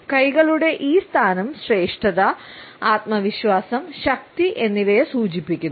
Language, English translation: Malayalam, This position of hands indicates superiority, confidence and power